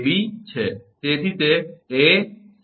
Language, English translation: Gujarati, ab so it is a